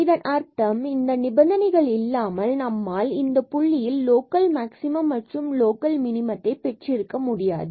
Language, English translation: Tamil, So, this is what we are calling necessary conditions; that means, without these conditions we cannot have the local maximum and local minimum at this point